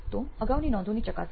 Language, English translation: Gujarati, So verification of previous notes